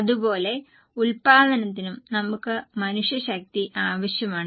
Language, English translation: Malayalam, In the same way, for the production we need manpower